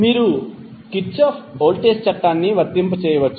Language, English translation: Telugu, You can apply Kirchhoff voltage law